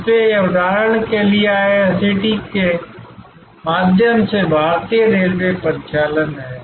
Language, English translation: Hindi, So, this is for example, Indian railway operating through IRCTC